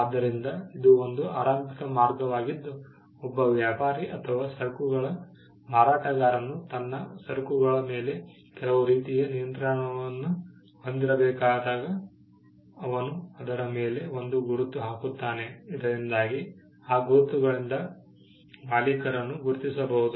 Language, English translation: Kannada, So, this was an initial way by which when a trader or a seller of a goods when he had to have some kind of control over his goods, he would put a mark on it, so that marks could identify the owner